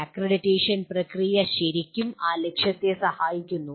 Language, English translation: Malayalam, And the process of accreditation really serves that purpose